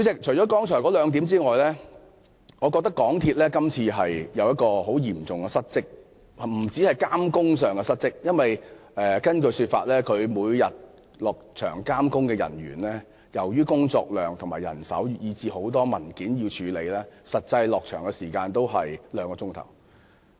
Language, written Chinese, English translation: Cantonese, 除了上述兩點外，我認為港鐵公司今次嚴重失職，不單在監工上失職......根據港鐵公司的說法，他們到場監工的人員，由於工作量和人手問題，以及有很多文件需要處理，每天實際在場監工的時間只有兩個小時。, Apart from the two points mentioned above I opine that MTRCL has seriously failed to discharge its duties in this incident not only in respect of works supervision According to MTRCL owing to heavy workload manpower shortage and tonnes of paperwork their on - site works supervisors actually only spend two hours on on - site supervision each day